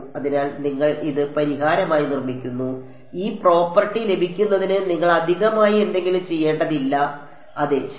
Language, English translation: Malayalam, So, you build it into the solution, you do not have to do something extra to get this property yeah ok